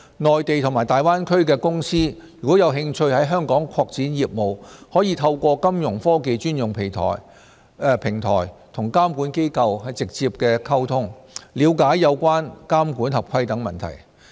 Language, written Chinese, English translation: Cantonese, 內地及大灣區的公司如有興趣在港擴展業務，可透過金融科技專用平台與監管機構直接溝通，了解有關監管合規等問題。, If companies of the Mainland and the Greater Bay Area are interested in developing their business in Hong Kong they can directly contact the regulators through their dedicated Fintech platforms to enquire about regulatory and compliance matters